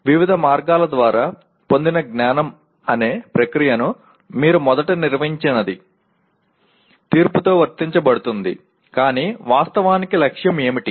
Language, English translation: Telugu, The first you define the process that is knowledge gained through various means is applied with judgment but what is the goal actually